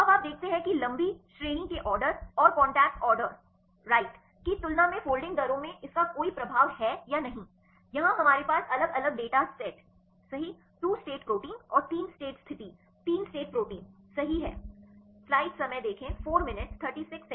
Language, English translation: Hindi, Now, you see whether this has any influence in the folding rates compared with long range order and the contact order right, here we have different data sets right 2 state proteins and 3 state condition 3 state proteins right